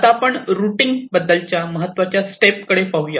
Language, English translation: Marathi, so let us see basic problem of routing to start with